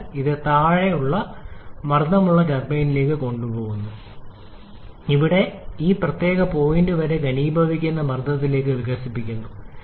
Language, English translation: Malayalam, And then it is taken to the low pressure turbine where it is expanded to the condensation pressure up to this particular point